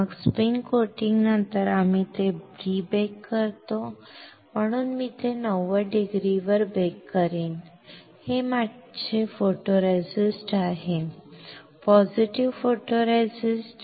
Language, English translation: Marathi, Then after spin coating we pre bake it, so I will pre bake it at 90 degree this is my photoresist; positive photoresist